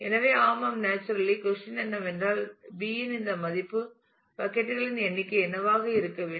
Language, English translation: Tamil, So, yeah naturally the question is what should be this value of B the number of buckets